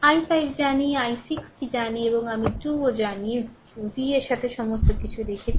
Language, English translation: Bengali, I 5 we know i 6 we know and i 2 also we know put everything in terms of v right